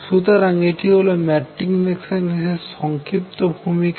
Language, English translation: Bengali, So, this is a brief introduction to matrix mechanics